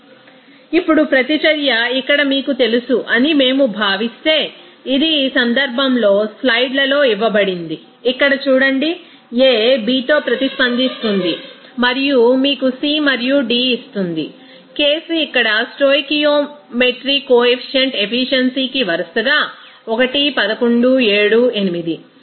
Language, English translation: Telugu, Now, if we consider an example of you know reaction like this here, it is given in the slides in this case see here A is reacting with B and gives you that C and D , in this case here coefficient stoichiometry efficiencies are 1, 11, 7, 8 respectively